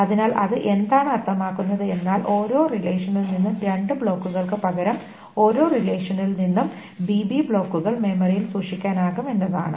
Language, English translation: Malayalam, So what does that mean is that instead of only two blocks, BB blocks from each relation, I should say from each relation can be stored in memory